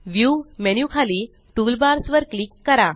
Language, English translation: Marathi, Under the View menu, click Toolbars